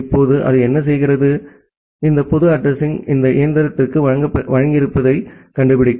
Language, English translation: Tamil, Now, what it does it finds out that well this public address has given to this machine